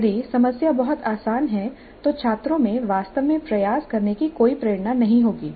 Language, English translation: Hindi, The problem is too easy then the students would really not have any motivation to put in effort